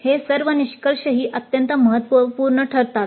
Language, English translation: Marathi, Now all these outcomes also are becoming very significant